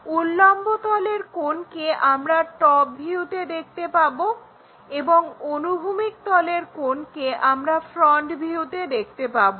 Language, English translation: Bengali, So, with vertical plane angle what we will see it in the top view and the horizontal plane angle we will see it in the front view